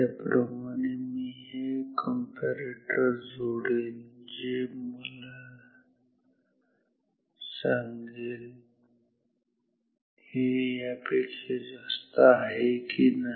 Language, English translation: Marathi, Similarly I will connect this comparator so that this comparator tells whether this is higher than this or not